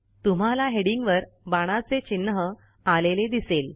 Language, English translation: Marathi, You see that an arrow mark appears on the headings